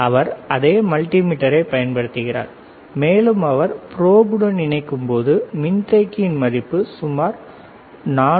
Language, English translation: Tamil, He is using the same multimeter, and when he is connecting with the probe, we can see the value of the capacitor which is around 464